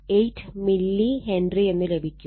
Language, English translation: Malayalam, 58 milli Henry